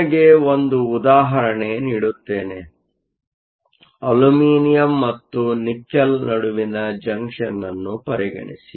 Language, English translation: Kannada, Give you an example; consider a junction between Aluminum and Nickel